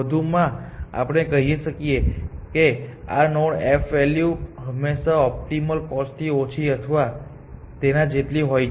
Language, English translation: Gujarati, Further we say the f value of this node is always less to or equal to the optimal cost from